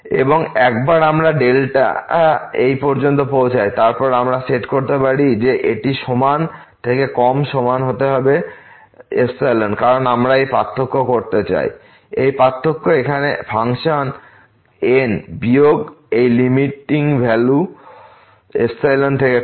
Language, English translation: Bengali, And once we reach to this delta, then we can set that this must be equal to less than equal to epsilon because we want to make this difference; this difference here of the function minus this limiting value less than epsilon